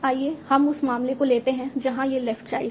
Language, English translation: Hindi, Let's take the case where it is the left child